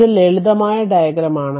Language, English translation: Malayalam, So, this is simple diagram